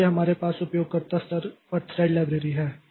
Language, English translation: Hindi, So, we have at user level threads libraries are there